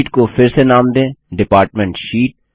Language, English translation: Hindi, Rename the sheet to Department Sheet